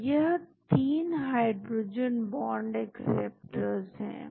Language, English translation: Hindi, So, there are 3 hydrogen bond acceptors